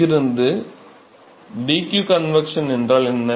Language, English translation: Tamil, So, from here; so what is dq convection